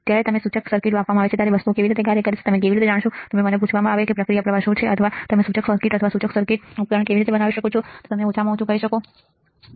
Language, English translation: Gujarati, How you will know how the things works when you are given an indicator circuit and if you are asked that what are the process flow or how you can fabricate a indicator circuit or an indicator circuit or a device you will be able to at least tell that, now we know how the process flow works